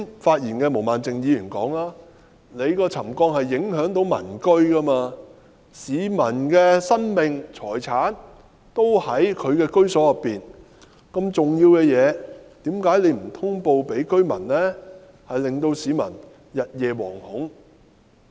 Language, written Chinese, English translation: Cantonese, 一如毛孟靜議員剛才所說，沉降是會影響民居的，市民的生命和財產均在居所內，如此重要的事情，何以不向居民通報，致令市民日夜惶恐呢？, As Ms Claudia MO said just now the settlement will affect the residents . Since the lives and properties of the public are in their residence settlement is an important issue . Why did MTRCL not notify the residents thus causing them to be gripped by fear all the time now?